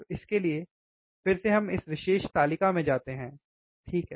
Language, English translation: Hindi, So, for this again we go back to we go to the the this particular table, right